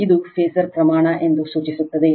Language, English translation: Kannada, This is a phasor quantity right